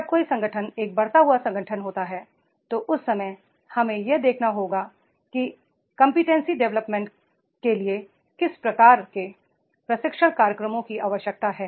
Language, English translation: Hindi, When an organization is a growing organization, that time we have to see that is the what type of the training programs for the competency development that will be required